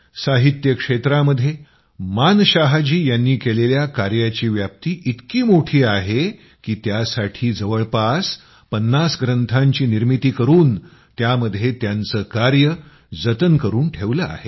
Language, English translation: Marathi, The scope of Manshah ji's work in the field of literature is so extensive that it has been conserved in about 50 volumes